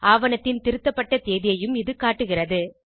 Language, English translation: Tamil, It also shows the Revision date of the document